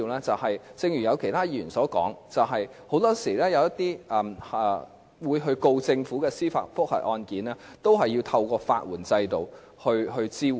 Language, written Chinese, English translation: Cantonese, 正如其他議員所說，很多時候，一些控告政府的司法覆核案件都是要透過法援制度來獲得支援。, As other Members have said it is often the case that judicial review cases filed against the Government have to obtain support through the legal aid system